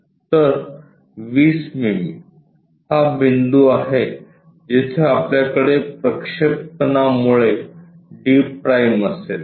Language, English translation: Marathi, So, 20 mm so, this is the point where we will have d’ because its a projection